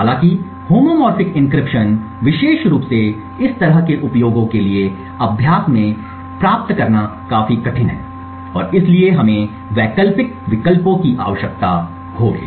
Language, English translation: Hindi, However homomorphic encryption is quite difficult to achieve in practice especially for this kind of uses and therefore we would require alternate options